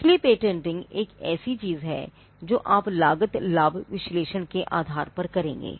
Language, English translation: Hindi, So, patenting is something which you would do based on a cost benefit analysis